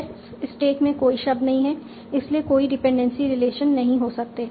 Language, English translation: Hindi, There is no word in stack so there cannot be any dependency relation